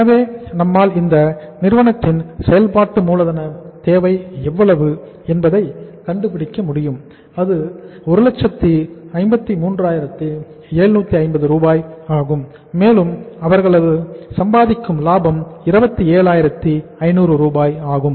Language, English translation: Tamil, So we are able to find out that the working capital requirement of this company is how much that is 1,53,750 and the profit they will be earning will be to the tune of 27,500